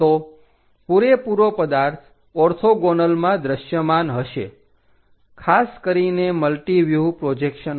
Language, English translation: Gujarati, So, entire object will be clearly visible for this orthogonal, especially multi view projections